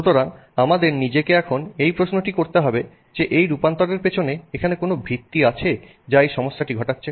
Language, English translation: Bengali, So, the question we have to ask ourselves is that is there something fundamental in this transformation that creates a problem for this to happen